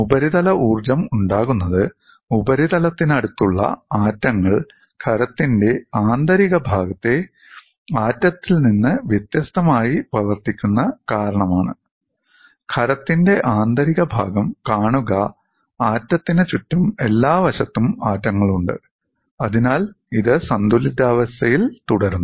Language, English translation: Malayalam, The surface energies develop because atoms close to a surface behave differently from an atom at the interior of the solid; see, in the interior of the solid the atom is surrounded by atoms on all the sides, so it remains in equilibrium